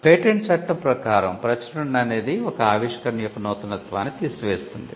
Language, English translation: Telugu, In patent law the publication kills the novelty of an invention